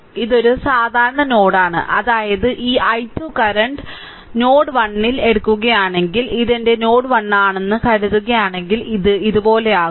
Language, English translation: Malayalam, So, this one this is a common node right so; that means, this i 2 current; that means, at node 1 if you take node 1 it will be something like this is if this is suppose my node 1 right